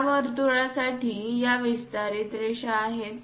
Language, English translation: Marathi, For this circle these are the extension lines